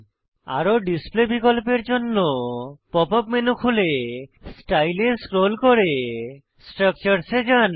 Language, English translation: Bengali, For more display options, Open the pop up menu and scroll down to Style, then to Structures